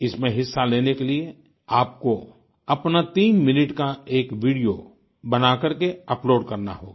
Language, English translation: Hindi, To participate in this International Video Blog competition, you will have to make a threeminute video and upload it